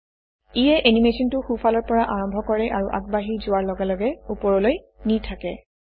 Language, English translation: Assamese, This has the effect of starting the animation from the right and moving to the top as it progresses